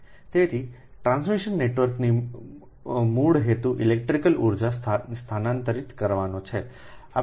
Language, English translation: Gujarati, so basic purpose of a transmission network is to transfer electrical energy